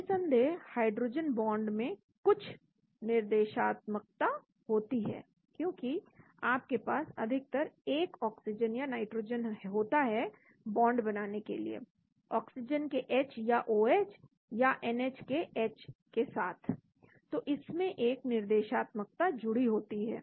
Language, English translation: Hindi, Of course the hydrogen bond has some directionality, because you need to have generally a O or N forming a bond with H of O or OH or H of NH, so it is got a directionality attached to